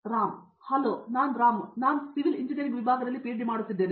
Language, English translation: Kannada, Hi I am Ram; I am doing PhD in the Department of Civil Engineering